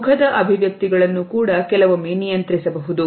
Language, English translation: Kannada, Facial expressions can also be sometimes controlled